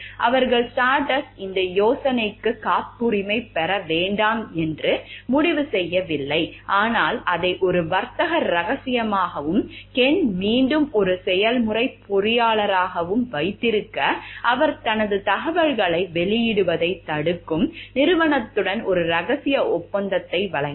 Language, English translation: Tamil, Because they have not Stardust decides not to patent the idea, but to keep it as a trade secret and again Ken as a process engineer, he assigned a secrecy agreement with the firm that prohibits his divulging information